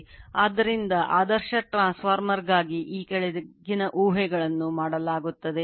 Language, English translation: Kannada, So, following assumptions are made for an ideal transformer